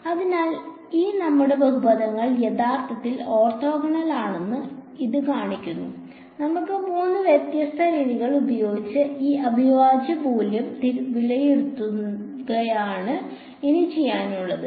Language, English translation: Malayalam, So, this shows us that these our polynomials are indeed orthogonal and what remains for us to do is to evaluate this integral using let us say three different methods